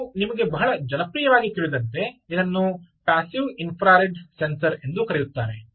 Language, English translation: Kannada, people use it as passive infrared sensor